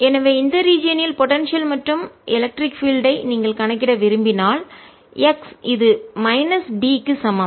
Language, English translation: Tamil, so if you want to calculate the potential and electric field in this region, we place an image charge q one at x equals minus d